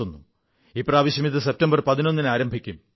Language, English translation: Malayalam, This time around it will commence on the 11th of September